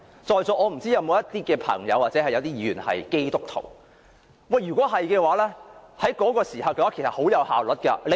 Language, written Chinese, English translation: Cantonese, 在座如有朋友或議員是基督徒的話便會知道，於那個時候，管治效率甚高。, Any person or Member present here who is a Christian should know that governance in those days was highly efficient